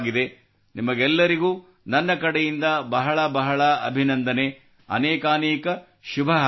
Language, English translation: Kannada, Many many congratulations to all of you from my side